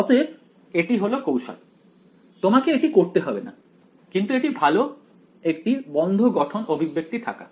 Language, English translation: Bengali, So, that is the trick you do not have to do it, but we it is good to have closed form expressions